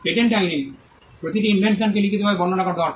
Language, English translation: Bengali, In patent law every invention needs to be described in writing